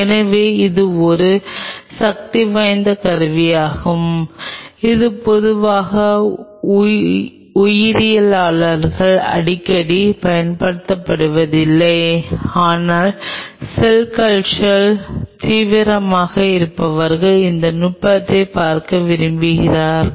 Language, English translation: Tamil, So, this is a powerful tool which generally not used by the biologist very frequently, but those who are intensively into cell culture they may like to look at this technique